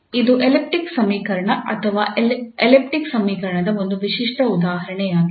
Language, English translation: Kannada, So this is an elliptic equation or a typical example of elliptic equation